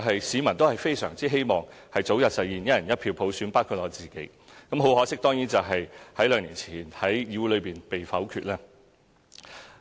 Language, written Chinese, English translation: Cantonese, 市民當然非常希望早日實現"一人一票"普選，包括我自己，可惜兩年前該方案已在議會中被否決了。, Certainly the public including myself eagerly hope that the universal suffrage of one person one vote will be implemented as soon as possible . Unfortunately the proposal was vetoed by the legislature two years ago